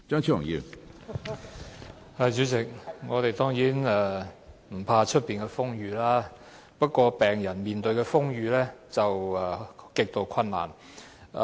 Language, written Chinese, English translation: Cantonese, 主席，我們當然不懼怕外面的風雨，不過，病人要面對風雨，卻極度困難。, President we are certainly not afraid of the elements outside but it is extremely difficult for patients to do so